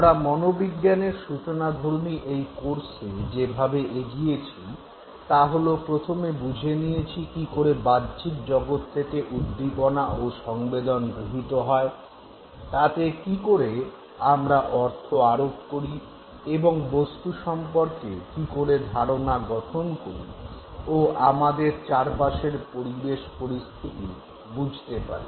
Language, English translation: Bengali, The way we are proceeding as part of this very brief introductory psychology course is that we have first tried to understand how the stimulus, how the sensation from the external world reaches us, how we try to assign meaning to it, thereby trying to understand that how do we perceive things, how do we make out sense of how the world is around us